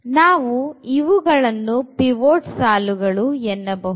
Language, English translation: Kannada, So, we have these so called the pivot rows